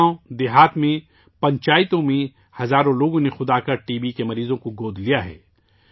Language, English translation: Urdu, Thousands of people in villages & Panchayats have come forward themselves and adopted T